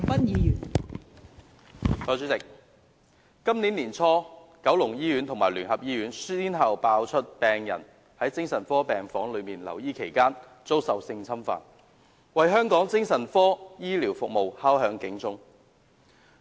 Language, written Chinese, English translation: Cantonese, 代理主席，今年年初，九龍醫院和聯合醫院先後遭揭發曾發生病人在精神科病房留醫期間遭受性侵犯的事件，為香港精神科醫療服務敲響警鐘。, Deputy President early this year an alarm was sounded for the psychiatric healthcare services in Hong Kong after incidents involving sexual abuses of patients in psychiatric wards were uncovered one after another in the Kowloon Hospital and the United Christian Hospital